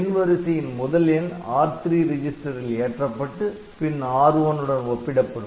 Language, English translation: Tamil, So, the first number that you have is loaded into the R3 register then we compare R3 with R1, ok